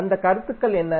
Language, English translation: Tamil, So, what are those concepts